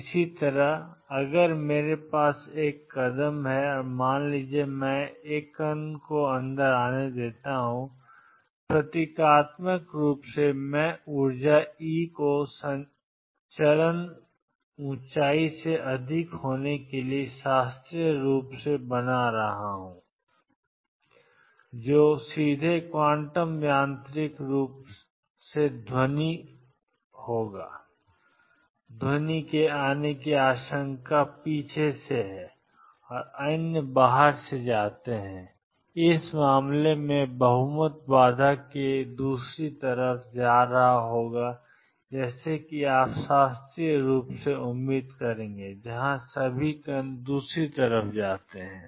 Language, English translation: Hindi, Similarly, if I have a step and suppose, I allow a particle to come in and symbolically, I am making this energy E to be greater than the step height classically the particle would just go straight quantum mechanically sound the particles have a probability of coming back and others go out in this case a majority would be going to the other side of the barrier as you would expect classically where all the particle go to the other side